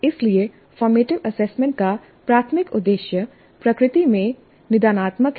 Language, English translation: Hindi, So the primary purpose of format assessment is diagnostic in nature